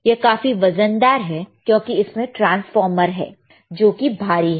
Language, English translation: Hindi, This is very heavy, right; because there is a transformer heavy, all right